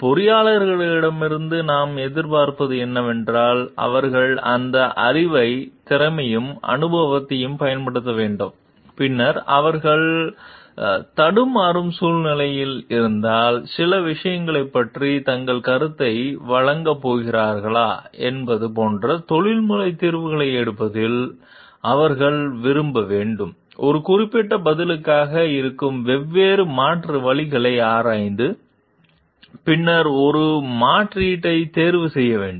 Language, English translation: Tamil, What we expect from the engineers is when they have the knowledge, they should be using that knowledge and skills and exercise; then, in taking professional judgments like if they are in the situation of dilemma and if they are going to give their opinion about certain things, they need to like examine the different alternatives present for a particular answer and then need to choose one alternative